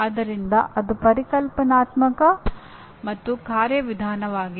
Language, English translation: Kannada, So that is conceptual and procedural